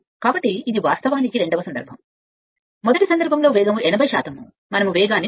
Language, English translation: Telugu, So, it will be your, what you call that second case, the speed is 80 percent of the first case because, we are reducing the speed